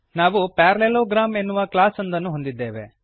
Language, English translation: Kannada, Then we have a class parallelogram This is the base class